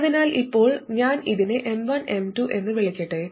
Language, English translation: Malayalam, So now let me call this M1 and M2